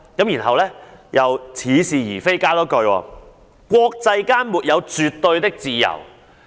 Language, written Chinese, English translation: Cantonese, 然後她又似是而非地補充一句，指"國際間沒有絕對的自由"。, Then she also added a specious remark arguing that there would be no absolute freedom in the international community